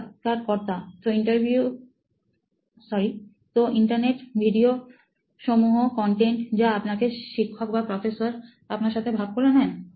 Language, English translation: Bengali, So videos, the Internet generally, content that your teachers or prof have shared with you